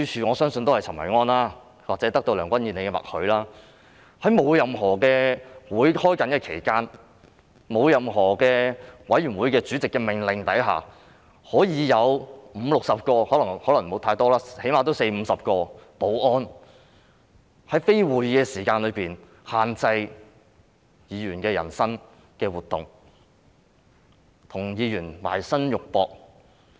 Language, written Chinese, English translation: Cantonese, 我相信也是陳維安或是得到梁君彥的默許，在沒有會議舉行期間，在沒有任何委員會主席的命令下，竟然有五六十個——可能沒有這麼多，但最低限度也有四五十個——保安人員在非會議舉行時間內限制議員的人身活動，與議員"埋身肉搏"。, I believe it is due to Kenneth CHEN probably with the tacit approval of Andrew LEUNG that at the time when there was no meeting and without the instruction of any Chairman of a committee around 50 to 60 security officers―the number may be smaller yet there were at least 40 to 50 of them―restricted the personal activities of Members during non - meeting hours and engaged in physical scuffles with Members